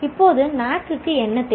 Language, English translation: Tamil, What is the role of NAAC